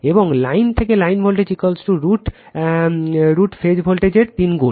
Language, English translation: Bengali, And line to line voltage is equal to root 3 times the phase voltage right